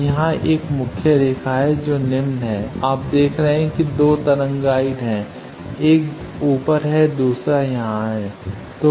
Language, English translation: Hindi, So, there is a main line here the lower; you see there are 2 wave guides one is top another is here